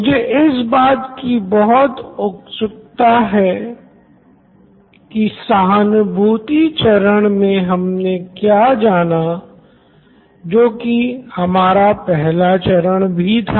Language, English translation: Hindi, I am very curious on what they really found out in the empathize phase which is our first phase